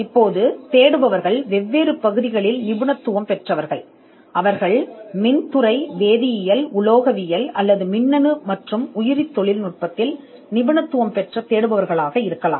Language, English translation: Tamil, Now searchers specialize in different areas, they could be searchers who are specialized in electrical chemical, metallurgical or electronical and biotechnology